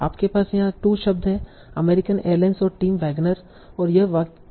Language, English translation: Hindi, So you have the two words here American Airlines and Tim Wagner and this is the past tree of the sentence